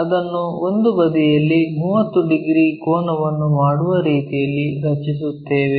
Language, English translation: Kannada, We draw it in such a way that one of the sides makes 30 degrees angle